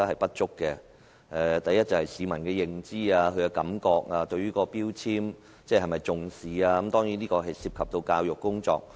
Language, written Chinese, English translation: Cantonese, 第一個問題關乎市民的認知，以及他們對能源標籤是否重視。這當然涉及教育工作。, I have mainly discussed two issues and the first issue is about public awareness and whether members of the public attach importance to energy labels which is certainly related to education